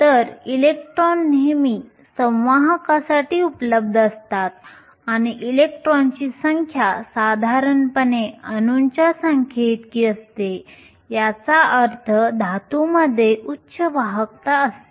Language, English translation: Marathi, So, electrons are always available for conduction and the number of electrons is typically equal to the number of atoms which means metals have high conductivity